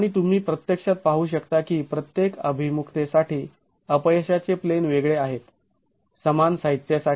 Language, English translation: Marathi, And you can actually see that for each orientation the failure plane is different for the same material